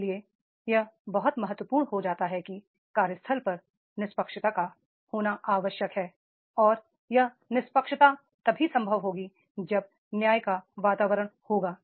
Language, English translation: Hindi, Therefore, it becomes very, very important that is at workplace for the fairness is to be there and that fairness will be possible only there is an environment of justice that everybody get justice here